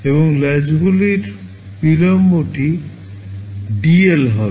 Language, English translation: Bengali, And the latches delay will be dL